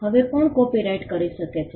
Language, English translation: Gujarati, Now, who can have a copyright